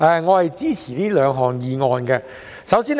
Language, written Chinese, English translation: Cantonese, 我支持原議案和修正案。, I support the original motion and the amendment